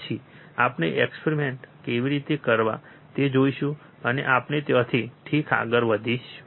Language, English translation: Gujarati, Then we will see how to perform the experiments, and we will move from there ok